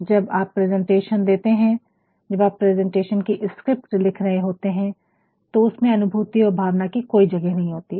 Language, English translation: Hindi, When you are giving a presentation, when you are writing your script for presentation, there is no room for feelings and emotions